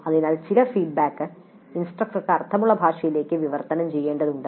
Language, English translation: Malayalam, So some feedback has to be translated into a language that makes sense to the instructor